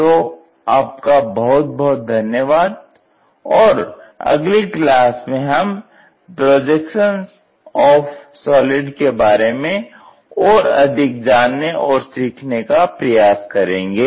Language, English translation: Hindi, So, thank you very much and in the next class we will learn more about this projection of solids